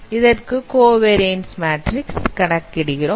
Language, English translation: Tamil, And that is how the covariance matrix is defined